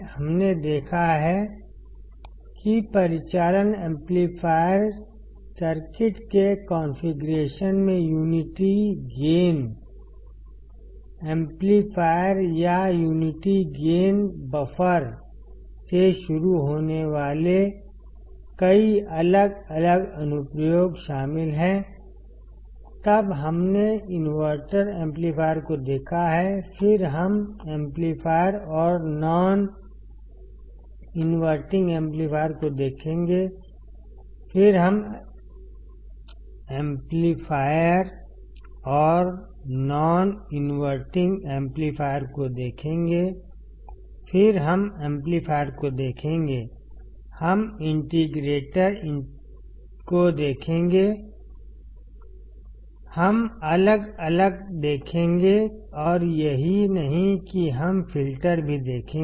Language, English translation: Hindi, We have seen that the operational amplifier circuit’s configuration includes several different applications starting from the unity gain amplifier or unity gain buffer; then we have seen inverting amplifier, then we will see inverting amplifier and non inverting amplifier, then we will see summing amplifier, we will see integrator, we will see differentiator and not only that we will also see filters